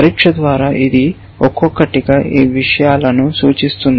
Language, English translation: Telugu, By test I mean each individual these things